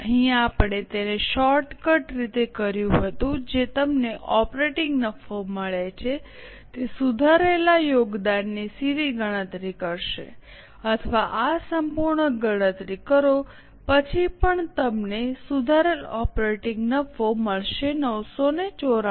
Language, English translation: Gujarati, Here we had done it as a shortcut, directly computing the revised contribution you get operating profit or do this full calculation then also you get the revised operating profit as 994